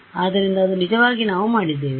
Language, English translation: Kannada, Yeah; so, that is actually what we have done